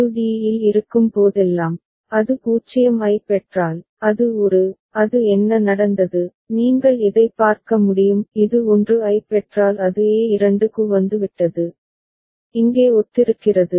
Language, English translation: Tamil, And whenever it is at d and if it gets a 0 then it should go to a that has, what has happened, you can see similar to if it gets a 1 it has come to a2 so, similar over here ok